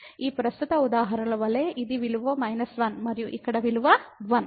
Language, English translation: Telugu, Like in this present example here it is value minus 1 and here the value is 1